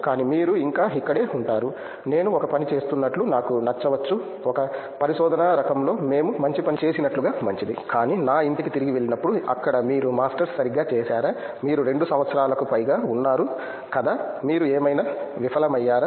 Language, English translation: Telugu, But you will be still here, I may like we are doing a, in a research kind of stuff it is good like we done a good stuff, but then going back to my home place there will like okay you just did Masters right, it’s more than 2 years are you did you fail or something